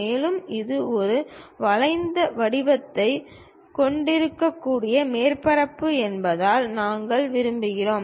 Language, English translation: Tamil, And, we would like to because it is a surface it might be having a curved shape